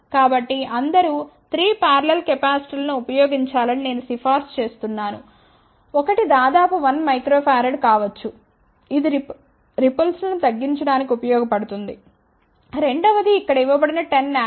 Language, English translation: Telugu, So, I recommend that one should use 3 parallel capacitors one could be of the order of 1 micro farad that will be useful for reducing the ripple, 10 nanofarad which is given here